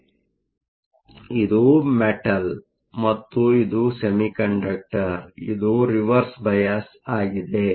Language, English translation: Kannada, So, this is the metal, this is the semiconductor, so this is Reverse bias